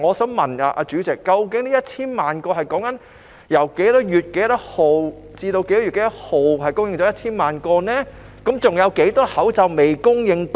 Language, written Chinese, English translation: Cantonese, 主席，究竟這1000萬個口罩是由何月何日至何月何日送達，還有多少個已訂購口罩未送達？, President from which date to which date were the 10 million masks delivered? . How many masks ordered have not been delivered?